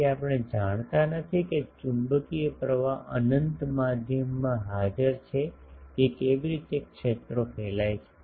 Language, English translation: Gujarati, So, we do not know if a magnetic current is present in an unbounded medium how fields radiate